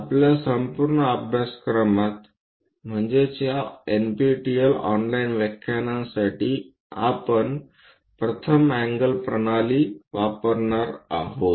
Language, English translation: Marathi, In our entire course, for these NPTEL online lectures, we go with first angle system